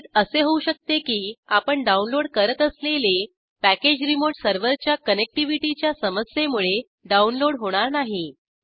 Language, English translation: Marathi, It may happen that it fails to download the requested package due to remote server connectivity issues